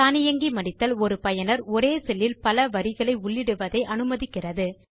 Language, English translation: Tamil, Automatic Wrapping allows a user to enter multiple lines of text into a single cell